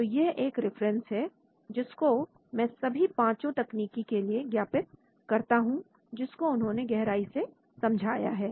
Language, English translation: Hindi, So this is the reference which I would like to acknowledge for all these five techniques, which they describe more in detail